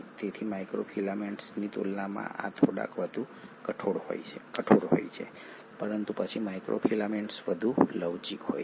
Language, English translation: Gujarati, So compared to microfilament these are a little more rigid, but then microfilaments are far more flexible